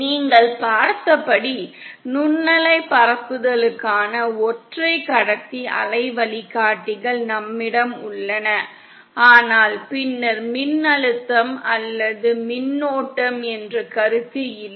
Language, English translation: Tamil, As you saw, we have single conductor wave guides for microwave propagation but then there is no concept of voltage or current